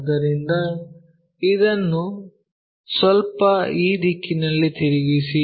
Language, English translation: Kannada, So, the slightly rotate this in this direction